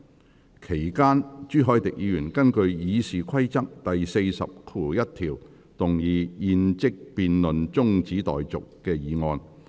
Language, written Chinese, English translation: Cantonese, 在會議期間，朱凱廸議員根據《議事規則》第401條，動議"現即將辯論中止待續"的議案。, During the meeting Mr CHU Hoi - dick moved a motion under Rule 401 of the Rules of Procedure that the debate be now adjourned